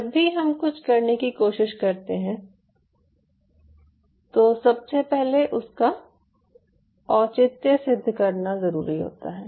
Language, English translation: Hindi, whenever we try to do something, one has to first of all justify